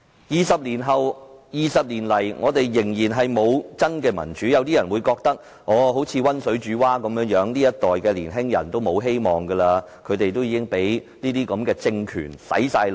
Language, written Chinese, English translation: Cantonese, 二十年來，我們仍然沒有真民主，於是有人以為現時就像溫水煮蛙般，這一代年輕人已經沒有希望，他們都已經被政權"洗腦"。, Twenty years have passed but we still do not have genuine democracy . Some people thus think that we are like frogs being cooked in lukewarm water and there is no hope for young people of this generation as they have been brainwashed by the authority